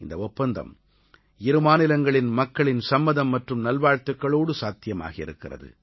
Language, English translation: Tamil, This agreement was made possible only because of the consent and good wishes of people from both the states